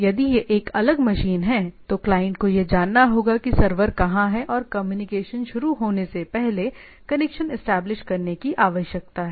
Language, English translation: Hindi, So, if it is a different machine, then the client server needs to know that the client needs to know where the server is and make a connection before establish a connection before the communication going on